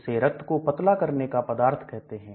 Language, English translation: Hindi, So it is called a blood thinner